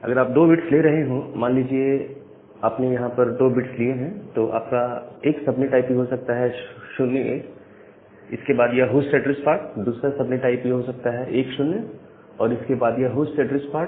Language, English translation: Hindi, So, because if you are taking 2 bits, your subnet IP so, say here you are taking 2 bits if you are taking 2 bits here, so one subnet IP can be 0 1, then the host address part, another one can be 1 0, then the host address part, the third one need to be either 1 1 or 0 0